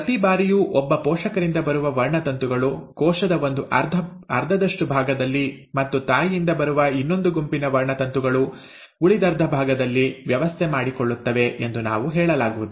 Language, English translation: Kannada, Now it is not necessary that every time the chromosomes for one parent will appear at one, will arrange at one half of the cell, and the other set of chromosome, let us say coming from mother will arrange at the other half